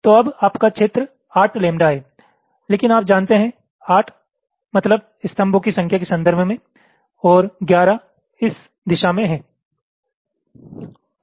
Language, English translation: Hindi, so now your, your area is, is is eight, lambda, but you know that ok means eight is in terms of the number of columns, and eleven in this direction